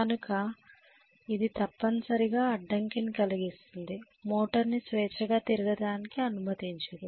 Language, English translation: Telugu, So it is essentially causing impediment it is not allowing it to freely rotate